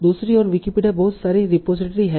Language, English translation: Hindi, On the other hand, Wikipedia is much larger a report tree